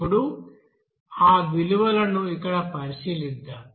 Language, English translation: Telugu, Now let us consider those values here